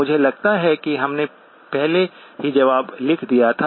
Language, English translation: Hindi, I think we already wrote down the answer